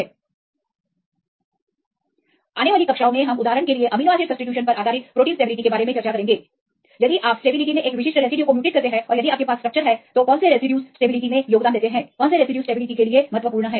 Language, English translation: Hindi, In the following classes we will discuss about the stability of proteins based on amino acid substitutions for example, what will happen if you mutate a specific residue in the stability and if you have the structure which residues, which contribute to the stability, which residues are important for the stability and so on